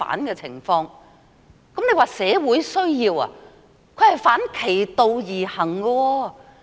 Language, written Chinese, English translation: Cantonese, 若說是社會需要，此舉則是反其道而行。, If it is said to be a social need then the Government is acting in the opposite